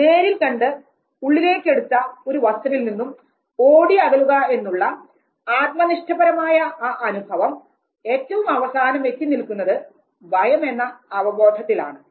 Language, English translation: Malayalam, This whole experience subjective experience of running away from the object that is internalized and then it finally results into the perception of fear